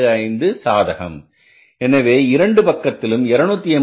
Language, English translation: Tamil, 25 favorable and this is 286